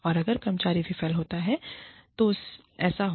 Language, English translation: Hindi, And, if the employee fails, then so be it